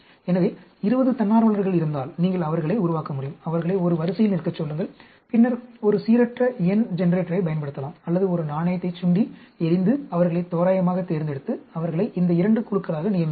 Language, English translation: Tamil, So, if there are 20 volunteers, you can make them, ask them to stand in a queue and then, use a random number generator or even toss a coin and pick them randomly and put them assigned them into these two groups